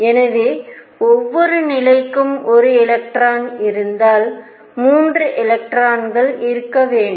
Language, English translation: Tamil, So, if each level has one electron there should be 3 electrons